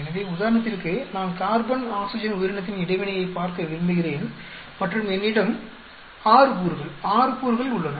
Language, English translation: Tamil, So, if I want to look at say for example, carbon oxygen organism interaction and I have 6 degrees 6 degrees